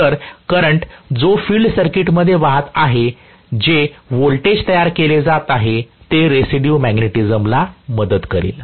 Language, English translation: Marathi, So, the current that is flowing in the field circuit because of the voltage that is being generated should aid the residual magnetism